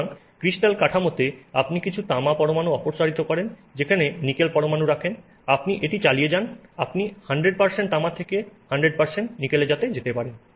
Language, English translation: Bengali, So, in the crystal structure you remove some copper atoms, you put nickel atoms, you keep on doing this, you can go from 100% copper to 100% nickel and they will dissolve in each other completely